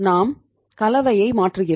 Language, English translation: Tamil, We change the composition